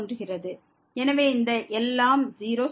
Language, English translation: Tamil, So, this everything goes to 0